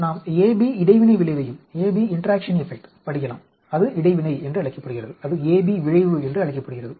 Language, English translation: Tamil, We can also study interaction a b effect that is called interaction, that is called a b effect